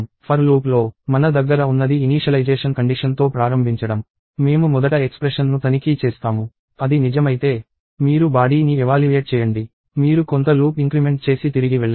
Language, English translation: Telugu, In the for loop, what we have is we start with an initialization condition; we first check an expression; if it is true, you evaluate the body; you do some loop increment and go back